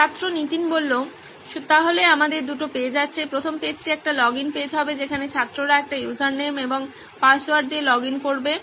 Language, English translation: Bengali, So we have two pages, the first page would be a login page where the student would login with a username and password